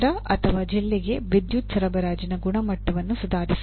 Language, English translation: Kannada, Improve the quality of power supply to a city or a district